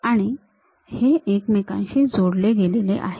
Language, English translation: Marathi, And, these are connected with each other